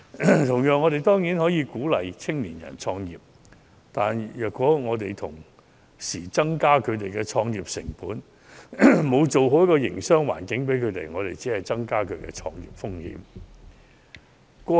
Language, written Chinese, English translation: Cantonese, 同樣，我們當然鼓勵青年人創業，但如果我們同時增加其創業成本，沒有營造好營商環境，我們只會增加他們的創業風險。, Similarly when young people are encouraged to start their own business we must avoid burdening them with high start - up costs and poor business environment as this will only increase their risk of business start - up